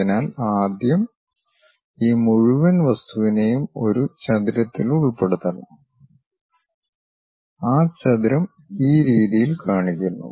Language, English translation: Malayalam, So, first we have to enclose this entire object in a rectangle, that rectangle is shown in in this way